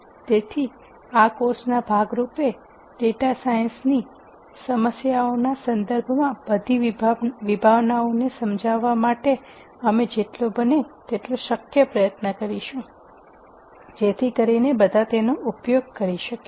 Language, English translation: Gujarati, So, as part of this course, we will try as much as possible whenever appropriate to explain all the concepts in terms of the data science problems that one might use them to solve